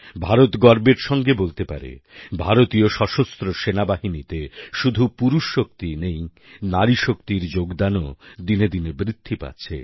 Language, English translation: Bengali, Indian can proudly claim that in the armed forces,our Army not only manpower but womanpower too is contributing equally